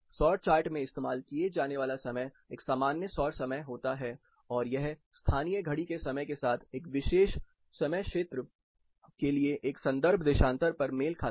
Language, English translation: Hindi, The time used in the solar chart is a general solar time and it coincides with the local clock time only at a reference longitude for a particular time zone